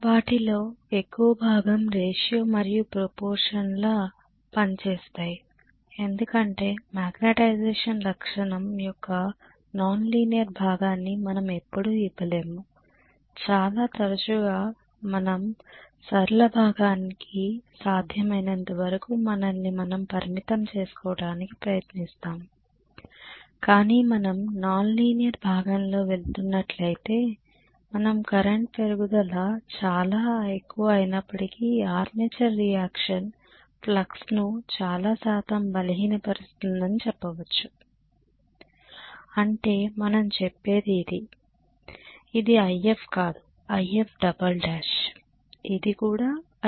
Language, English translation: Telugu, Most of them work on ratio and proportion because we hardly ever give the non linear portion of the magnetization characteristic very often we try to confine ourselves as much as possible to linear portion but if we are going in non linear portion we may say all though the increase in the current is by so much, armature reaction weakens the flux by so much percentage that is what we say, this is not IF this is IF2 dash, this is also IF 2 dash